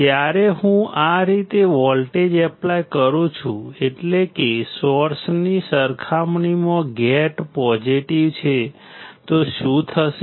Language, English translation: Gujarati, When I apply voltage in this manner; that means, my gate is positive compared to source, my drain is positive compared to source